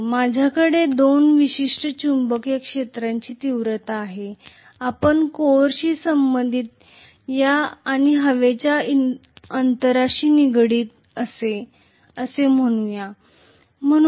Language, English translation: Marathi, I have two specific magnetic field intensities, let us say associated with the core and associated with the air gap